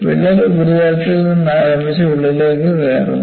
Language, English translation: Malayalam, And crack starts from the surface and penetrated